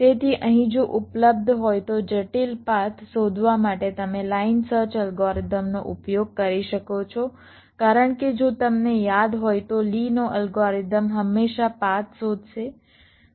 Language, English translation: Gujarati, so here you can use a line such algorithm to find ah complex path if it is available, because, if you recall, the lees algorithm will always find the path